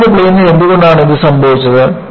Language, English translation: Malayalam, Why it has happened in the plane of the screen